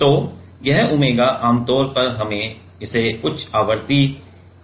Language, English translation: Hindi, So, this omega usually we keep it higher frequency